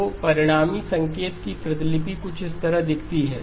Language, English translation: Hindi, So the copy of the resultant signal looks something like this